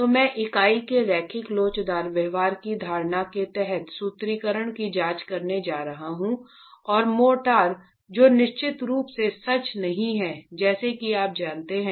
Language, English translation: Hindi, So, I'm going to be examining the formulation under an assumption of linear elastic behavior of the unit and the motor, which is of course not true as you know